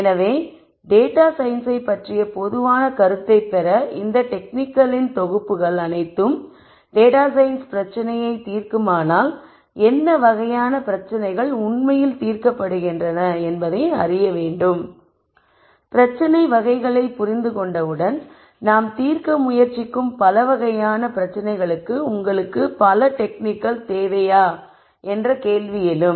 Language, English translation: Tamil, So, to get a general idea of data science one might be tempted to ask that if all of these collections of techniques solve data science problems then, one would like to know what types of problems are being solved really and once one understands the types of problems that are being solved then, the next logical question would be do you need so many techniques for the types of problems that you are trying to solve